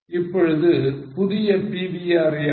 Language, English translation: Tamil, What is a new PVR now